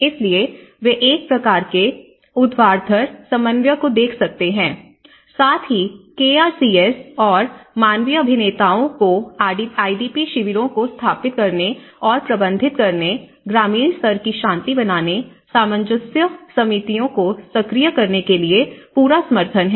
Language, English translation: Hindi, So, they are able to see a kind of vertical coordination, also the support to KRCS and the humanitarian actors in establishing and managing the IDP camps, activate village level peace, reconciliation committees